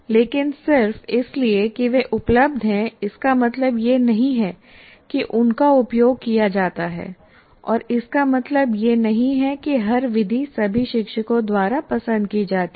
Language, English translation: Hindi, But just because they're available, it doesn't mean they're used and it doesn't mean that every method is preferred or liked by all teachers and so on